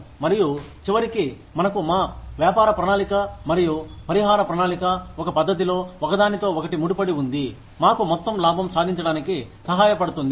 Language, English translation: Telugu, And, at the end, we want, our, the business plan and compensation plan, tied together in a manner, that it helps us achieve, the maximum amount of profit